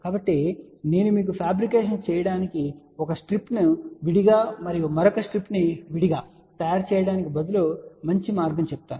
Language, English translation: Telugu, So, I can tell you a better way to do the fabrication is that instead of fabricating then one strip separately and the another strip separately